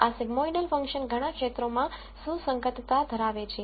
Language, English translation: Gujarati, The sigmoidal function has relevance in many areas